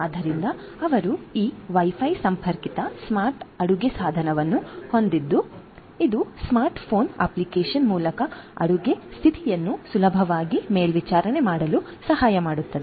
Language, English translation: Kannada, So, they have this Wi Fi connected smart cooking device that can help in easy monitoring of the cooking status via the smart phone app